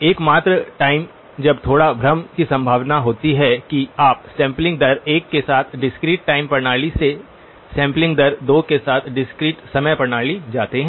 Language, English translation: Hindi, The only time when there is a little bit of confusion possibility is that you go from discrete time system with sampling rate 1 to another discrete time system with sampling rate 2